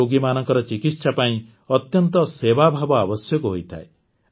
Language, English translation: Odia, The treatment and care of such patients require great sense of service